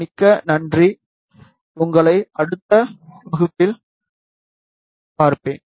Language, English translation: Tamil, So, thank you very much, we will see you in the next class